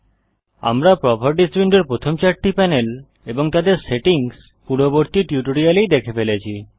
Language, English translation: Bengali, We have already seen the first four panels of the Properties window and their settings in the previous tutorials